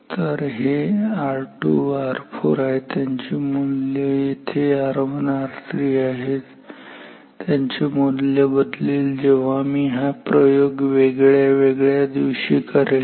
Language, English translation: Marathi, So, that these R 2 R 4 their values here R 1 R 3 they are values change when I do this experiment in different days